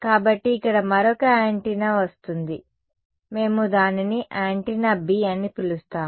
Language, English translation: Telugu, So, another antenna comes in over here we will call it antenna B ok